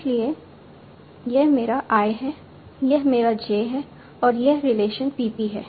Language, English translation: Hindi, So this is my I, this is my J and this is the relation